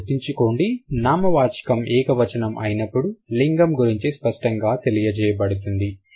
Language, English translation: Telugu, So, that means when the noun is singular, the gender is marked overtly